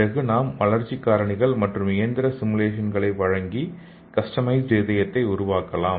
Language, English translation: Tamil, And we can give the growth factors and the mechanical simulation and we can make the customized organs